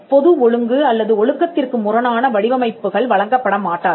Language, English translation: Tamil, Designs that are contrary to public order or morality will not be granted